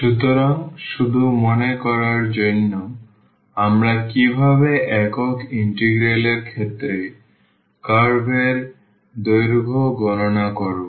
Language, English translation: Bengali, So, just to recall how do we compute the curve length in case of single integral